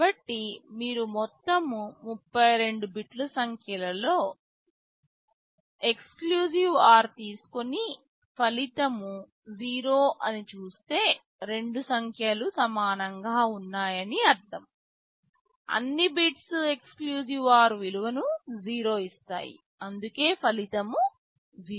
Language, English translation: Telugu, So, if you take XOR of entire 32 bit numbers and see the result is 0, this means that the two numbers are equal, all the bits are giving XOR value of 0, that is why the result is 0